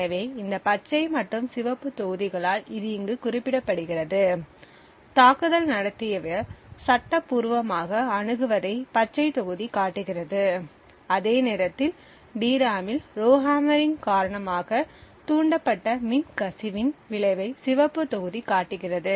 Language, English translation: Tamil, So this is represented here by these green and red blocks, the green block show what the attacker is legally accessing, while the red block show what show the effect of falls induced due to the Rowhammering of the DRAM